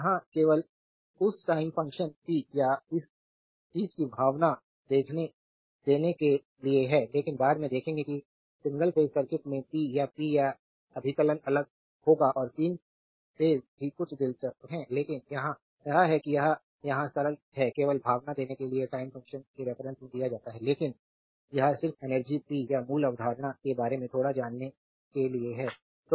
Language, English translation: Hindi, Here just to give you a feeling of that you know time function power and this thing, but later you will see that in single phase circuit we will power your power computation is different and 3 phase also something interesting, but here it is it is here simple it is given in terms of time function just to give you a feeling, but that this is just to know little bit of energy power the basic concept